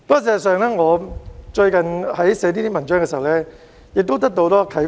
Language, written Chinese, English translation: Cantonese, 事實上，我在撰寫這些文章時得到很多啟發。, In fact writing these articles has given me a lot of inspirations